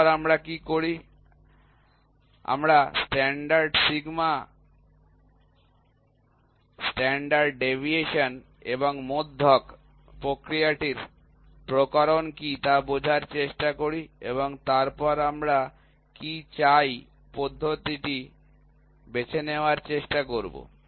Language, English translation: Bengali, Then, what we do we try to find out the standard is sigma, standard deviation and the mean try to figure out what is the process variation and then try to choose the method what we want